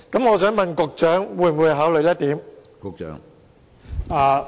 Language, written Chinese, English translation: Cantonese, 我想問局長會否考慮這一點？, May I ask the Secretary if he will consider this point?